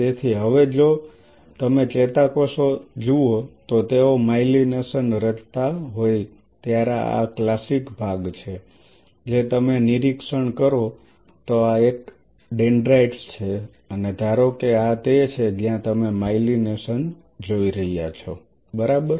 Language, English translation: Gujarati, So, now, if you look at the neurons when they are forming a myelination this is the classic part what you will be observing these are the dendrites and assume that this is where you are seeing the myelination right